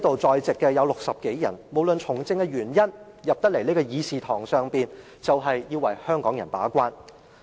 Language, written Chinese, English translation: Cantonese, 在席60多位議員無論基於甚麼原因從政，只要踏進這個會議廳，便要為香港人把關。, The 60 or so Members who are present here regardless of the reasons for them to become politicians must perform their gate - keeping roles for the people of Hong Kong once they have entered this Chamber